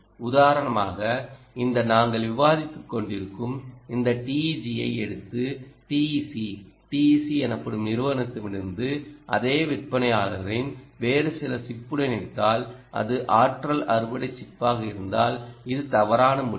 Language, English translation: Tamil, for instance, if you take this teg that we are discussing from this company called t e c tec and connect it to the same vendor, some other chip, ah, which is also energy harvesting chip, is an incorrect decision